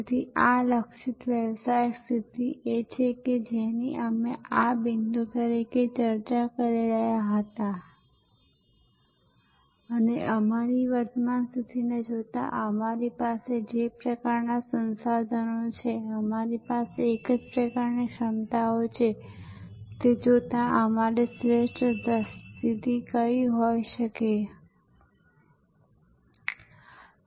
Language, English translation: Gujarati, So, this targeted business position is what we were discussing as this point B that what could be our best position given our current position, given the kind of resources that we have, given the kind of competencies we have